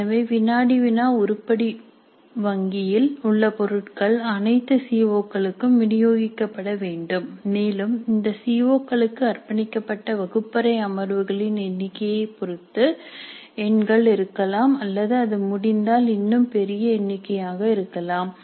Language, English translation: Tamil, So the items in the quiz item bank are to be distributed over all the Cs and the numbers can depend upon the number of classroom sessions devoted to those COs or it can be even larger number if it is possible